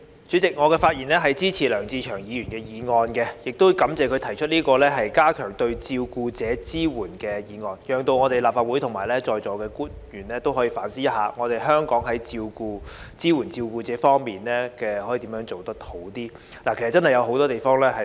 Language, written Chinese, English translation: Cantonese, 主席，我發言支持梁志祥議員的議案，亦感謝他提出"加強對照顧者的支援"議案，讓立法會及在座官員可以反思香港在支援照顧者方面如何能做得更好。, President I speak in support of Mr LEUNG Che - cheungs motion on Enhancing support for carers and thank him for proposing the motion to enable the Legislative Council and the public officers present to reflect on how Hong Kong can do better in supporting the carers